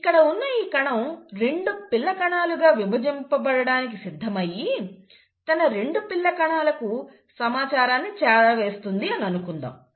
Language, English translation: Telugu, So let us say, this is the cell which has decided to divide into two daughter cells and pass on the information to its daughter cells